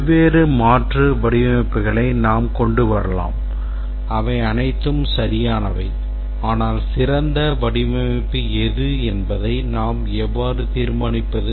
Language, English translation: Tamil, But there are several design alternatives which can be, we can come up with different alternate designs which are all correct, but then how do we decide which is a better design